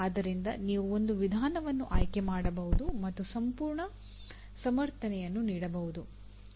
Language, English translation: Kannada, Out of that you can select one method and giving full justification